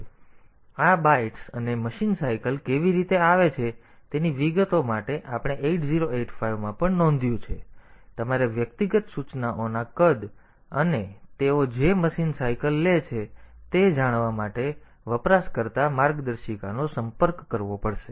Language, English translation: Gujarati, So, for the details of how this bytes and machine cycles are coming as we have noted in 8085 also, so you have to consult the user manual to know the sizes of individual instructions and the number of machine cycles they take